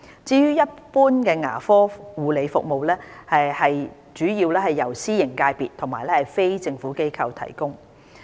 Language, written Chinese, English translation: Cantonese, 至於一般牙科護理服務，則主要由私營界別和非政府機構提供。, As for curative dental care services they are mainly provided by the private sector and NGOs